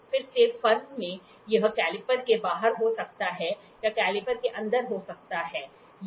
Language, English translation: Hindi, Again in firm it can be outside caliper, it can be inside caliper